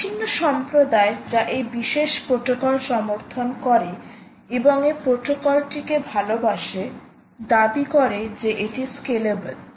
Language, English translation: Bengali, community, which supports this particular protocol and support loves this protocol, actually claim that it is a very scalable